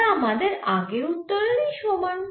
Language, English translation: Bengali, so this is same as the previous